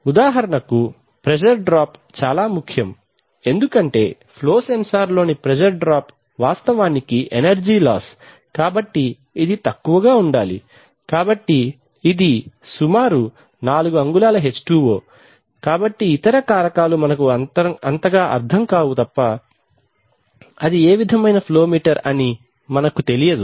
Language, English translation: Telugu, For example pressure drop is very important because the pressure drop in the flow sensor is actually an energy loss, so it should be low, so it says that approximately 4 inch H2O, so the other factors we will not understand so much unless we really know what sort of a flow meter it is